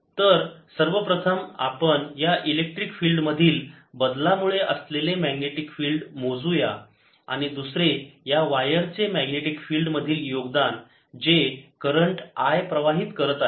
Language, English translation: Marathi, so we will first calculate the magnetic field due to this change in electric field and the second contribution to the magnetic field will be due to this wire which is carrying current i